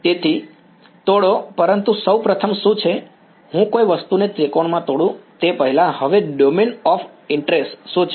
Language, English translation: Gujarati, So, break, but first of all what is, before I break something into triangle, what is the domain of interest now